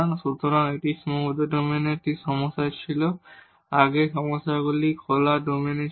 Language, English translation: Bengali, So, this was a problem with bounded domain the earlier problems were in the open domain